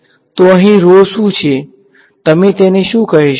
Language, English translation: Gujarati, So, what is rho over here, what would you call it